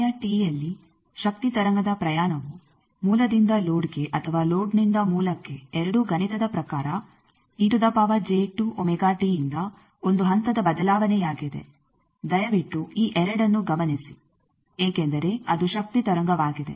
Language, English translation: Kannada, A journey of a power wave for a time t whether both source to load or load to source is mathematically a phase change by e to the power j 2 omega t this 2 please note because it is a power wave